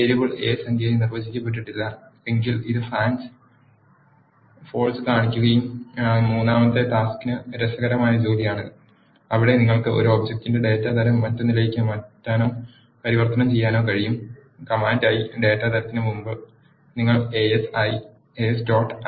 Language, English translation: Malayalam, The variable a is not defined as integer this will show false and the third task is interesting task where you can change the or convert the data type of one object to another to perform this action you have to use, as dot, before the data type as the command; the syntax for doing that is as dot data type of the object which you want to coerce